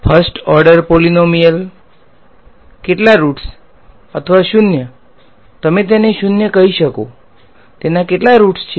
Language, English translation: Gujarati, First order polynomial, how many roots or zeros you call it zeros how many roots does it have